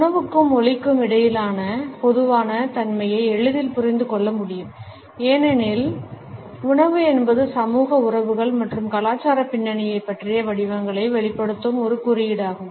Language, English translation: Tamil, The commonality between food and language can be understood easily because food is also a code which expresses patterns about social relationships and cultural backgrounds